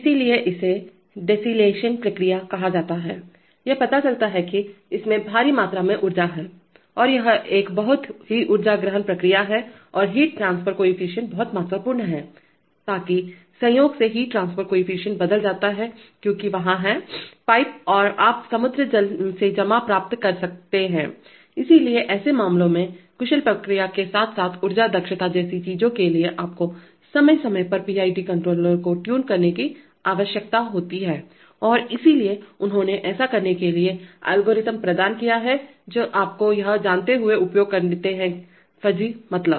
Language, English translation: Hindi, So that is called a desalination process and it turns out that there is huge amount of, it is a very energy intensive process and the heat transfer coefficient is very important, so that incidentally the heat transfer coefficient tends to change because there are, in the pipes you get depositions from seawater, so in such cases you, for efficient response as well as for things like energy efficiency you need to tune PID controllers from time to time and that is, so they have provided algorithms for doing that using you know this fuzzy means